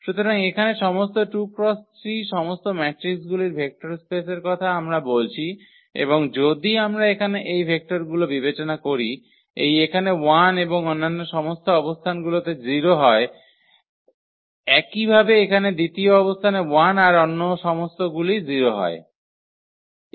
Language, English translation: Bengali, So, here the vector space of all 2 by 3 matrices we are talking about and if we consider these vectors here, the 1 at this position and all other positions are 0; similarly now at the second position is 1 all others are 0